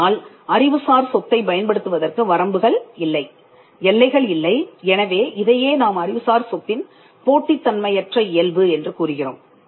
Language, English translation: Tamil, There are limits to which people can use a room, whereas there are no limits to how an intellectual property can be used, so this is what is referred as the non rivalrous nature of intellectual property